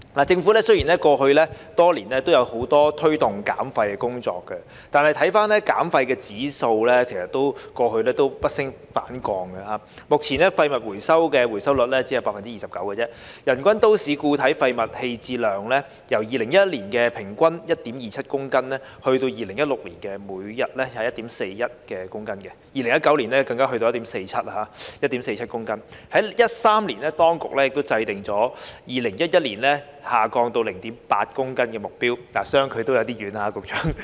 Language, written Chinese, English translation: Cantonese, 政府雖然過去多年來都有很多推動減廢的工作，但減廢指標不升反降，目前廢物回收的回收率只有 29%， 人均都市固體廢物棄置量由2011年的平均 1.27 公斤，增至2016年每日 1.41 公斤 ，2019 年更上升至 1.47 公斤，與2013年當局制訂2022年下降至 0.8 公斤的目標，相距也有點遠，局長。, These are all important . Although the Government has made a lot of efforts to promote waste reduction over the years the figures of waste reduction have not increased but have decreased instead . Currently the waste recovery rate is only 29 % and the per capita MSW disposal per day has increased from an average of 1.27 kg in 2011 to 1.41 kg in 2016 and even increased to 1.47 kg in 2019 which is a bit far from the target set by the Government in 2013 of reducing it to 0.8 kg by 2022 Secretary